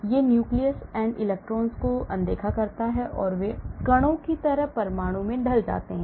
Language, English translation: Hindi, It ignores nucleus and electrons and they are lumped into atom like particles